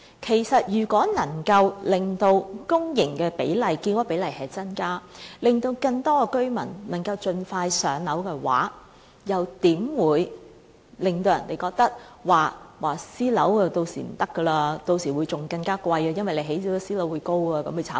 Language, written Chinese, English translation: Cantonese, 然而，如果能夠增加公營的建屋比例，可以盡快讓更多居民"上樓"的話，又怎會令人認為私人樓宇屆時的情況會更差、租金更貴，因為興建私人樓宇而致樓價將會被人炒高？, But if we can increase the proportion of public housing construction more people can then be allocated a public rental housing unit more quickly . Why should this ever make people think that the situation in the private housing sector will get worse rents will get higher and a speculative price surge in the private housing sector?